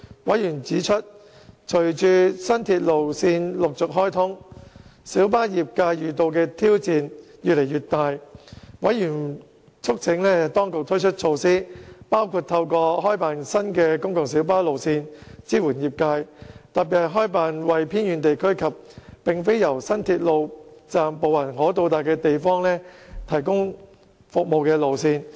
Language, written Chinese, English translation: Cantonese, 委員指出，隨着新鐵路線陸續開通，小巴業界遇到的挑戰越來越大，委員促請當局推出措施，包括透過開辦新的公共小巴路線支援業界，特別是開辦為偏遠地區及並非由新鐵路站步行可達的地方提供服務的路線。, Members have pointed out that with the opening of new railway lines one after another in recent years the PLB trade is meeting greater challenges . Members have urged the Administration to support the PLB trade by introducing measures such as launching new PLB routes in particular routes serving the remote areas and those areas not within walking distance from the new railway stations